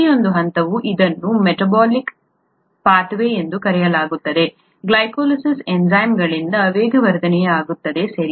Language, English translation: Kannada, Each step is, of this so called metabolic pathway, glycolysis, is catalysed by enzymes, okay